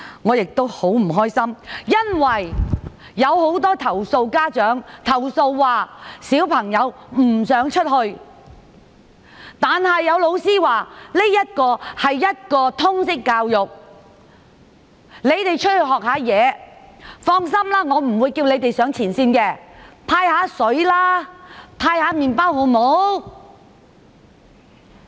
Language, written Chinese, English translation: Cantonese, 我很不高興，因為有很多家長投訴，指小朋友不想出去，但有老師說："這是一課通識教育，你們出去學習，放心，我不會叫你們上前線，只是派發水和麵包，好嗎？, I was annoyed because many parents complained to me that their children did not want to go but their teacher said This is a lesson of Liberal Studies . You go there to learn and I promise that you will not be asked to stand on the front line . You will only help with distributing bottled water and bread is that all right?